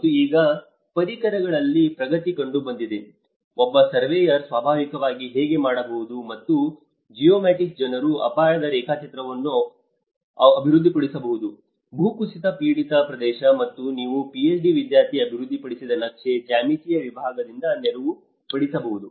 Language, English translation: Kannada, And now there has been advancement in the tools, how a surveyor can naturally do and the geomatics people can develop the hazard mapping, the landside prone area, this is a map developed from my Ph